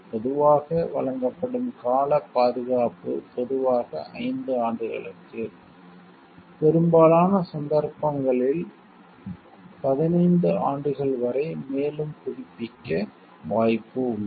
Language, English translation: Tamil, Normally, the term protection granted is generally for 5 years with the possibility of further renewal in most cases up to 15 years